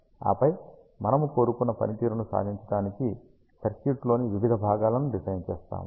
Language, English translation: Telugu, And then, you design the individual components in the circuit to achieve the desired performance